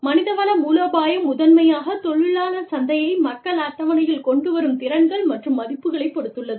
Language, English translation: Tamil, Human resource strategy is dependent upon, primarily the labor market, the skills and values, that people bring to the table